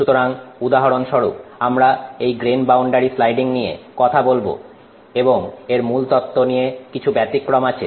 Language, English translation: Bengali, So, for example, we spoke about this grain boundary sliding and there are some variations on that theory